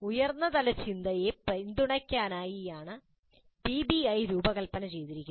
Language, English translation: Malayalam, PBI is designed to support higher order thinking